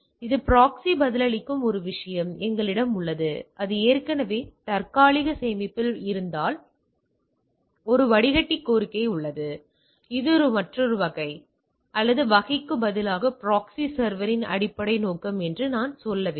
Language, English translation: Tamil, So, I we have a thing which is of replying the proxy in turn replying if the already it is in cache there is filter request that is another types is there or if instead of type I should say that basic purpose of the proxy server